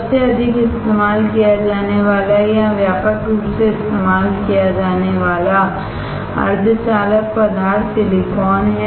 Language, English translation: Hindi, The most commonly used or widely used semiconductor material is silicon